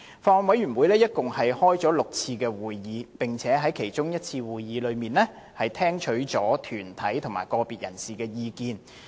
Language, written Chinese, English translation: Cantonese, 法案委員會共召開了6次會議，並在其中一次會議聽取了團體及個別人士的意見。, The Bills Committee held six meetings and received views from organizations and individuals at one of these meetings